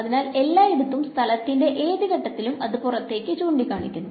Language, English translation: Malayalam, So, everywhere in at any point in space it is pointing outwards over here